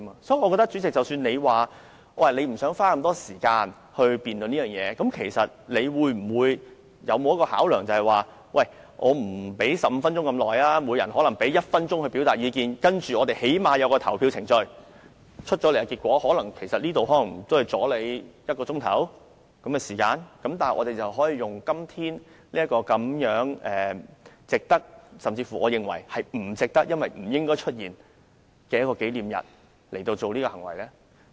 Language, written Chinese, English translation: Cantonese, 即使主席不想花這麼長時間辯論此事，但你有沒有考慮過即使不讓每名議員發言15分鐘，也可以給每名議員1分鐘時間表達意見，然後起碼進行投票程序，這樣做也可能只是耽誤1小時左右的時間，但議員卻可以藉此在今天這個值得——我其實認為不值得，因為不應出現這樣的一個紀念日——的日子表態。, Even if the President does not wish to spend such a long time on debating this matter has he considered giving each Member one minute instead of 15 minutes to express their views and then at least completing the voting procedure? . Although this Council might be delayed for an hour as a result Members can at least make their position known on this day of remembrance―actually I do not consider it worthwhile to mark the occasion as such a day of remembrance should not have occurred